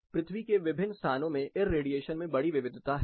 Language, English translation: Hindi, There is a large variation in irradiation among different locations of the earth